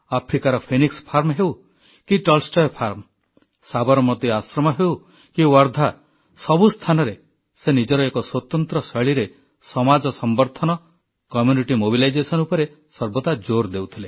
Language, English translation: Odia, Whether it was the Phoenix Farm or the Tolstoy Farm in Africa, the Sabarmati Ashram or Wardha, he laid special emphasis on community mobilization in his own distinct way